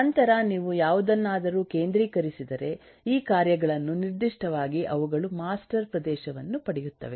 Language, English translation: Kannada, Then if you concentrate on any, any specific of this tasks, they get master area